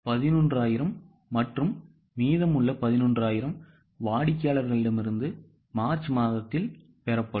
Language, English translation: Tamil, 11,000 and remaining 11,000 will be received from customers in March